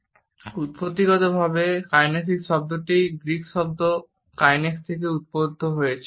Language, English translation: Bengali, Etymologically, the word kinesics has been derived from a Greek word kines which denotes movement